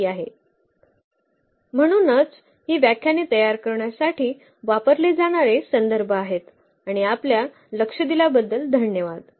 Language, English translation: Marathi, So, these are the references used to prepare these lectures and thank you for your attention